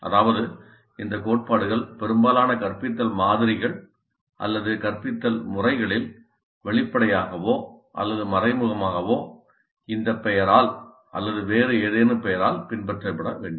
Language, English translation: Tamil, That means that these principles must be the ones followed in most of the instructional models or instructional methods either explicitly or implicitly by this name or by some other name